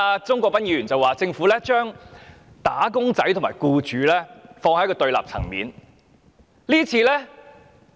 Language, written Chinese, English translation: Cantonese, 鍾國斌議員剛才說，政府將"打工仔"和僱主放在對立層面。, Mr CHUNG Kwok - pan just remarked that the Government was putting employees and employers on opposite sides